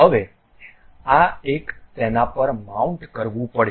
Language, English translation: Gujarati, Now, this one has to be mounted on that